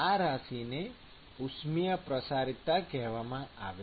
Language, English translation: Gujarati, so this quantity is called thermal diffusivity